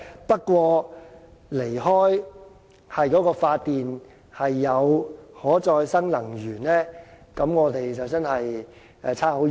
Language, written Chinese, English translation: Cantonese, 不過，如離開以可再生能源發電，我們便會相差很遠。, However we are still very far away from the use of renewable energy for electricity generation